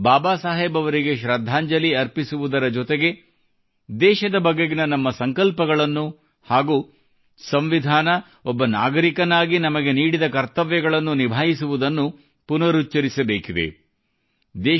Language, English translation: Kannada, Besides paying our homage to Baba Saheb, this day is also an occasion to reaffirm our resolve to the country and abiding by the duties, assigned to us by the Constitution as an individual